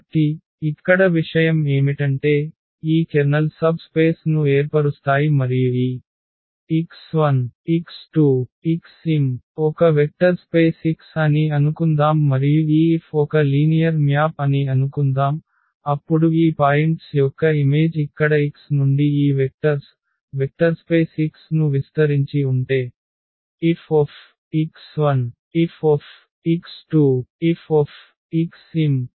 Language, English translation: Telugu, That suppose this x 1 x 2 x 3 x m is span a vector space X and suppose this F is a linear map, then their image of these points here what these vectors from x which is span the vector space X then this F x 1 F x 2 F x m will also span will span the image F